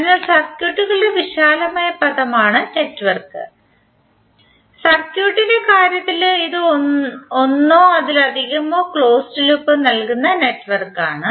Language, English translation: Malayalam, So network is the broader term for the circuits, while in case of circuit its network which providing one or more closed path